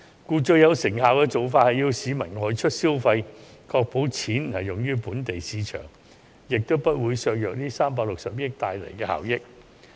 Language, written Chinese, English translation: Cantonese, 故最有成效的做法是鼓勵市民外出消費，確保款項用於本地市場，也不會削弱這360億元帶來的效益。, Hence the most effective approach is to encourage the public to go out for spending as this would ensure that the money is spent in the local market and the effects that this 36 billion may bring about will not be undermined